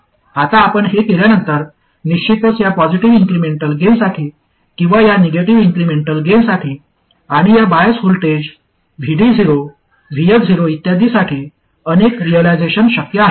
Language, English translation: Marathi, Now, after you do this, there are of course many realizations possible for this positive incremental gain or these negative incremental gains and choice of these bias voltages, VD0, VS, 0 and so on